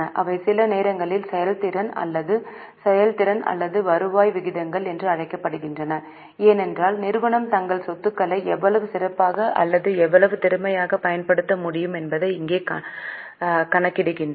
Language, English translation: Tamil, They are sometimes also called as efficiency or performance or turnover ratios because here we calculate how better or how efficiently the company is able to utilize their assets